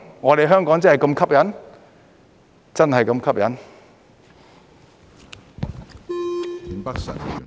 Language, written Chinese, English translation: Cantonese, 我們香港真的是那麼吸引？, Is Hong Kong really that attractive?